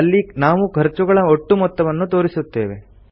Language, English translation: Kannada, Here we want to display the average of the total cost